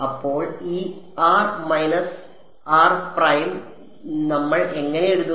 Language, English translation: Malayalam, So, this r minus r prime how do we write it